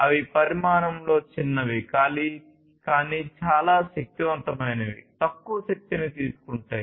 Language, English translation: Telugu, They are smaller in size, but much more powerful, less energy consuming